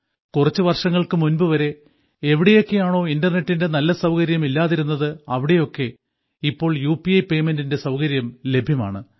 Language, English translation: Malayalam, In places where there was no good internet facility till a few years ago, now there is also the facility of payment through UPI